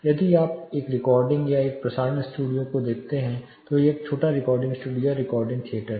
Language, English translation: Hindi, If you look at one end recording or a broadcasting studio a small recording studio the theater kind of recording theater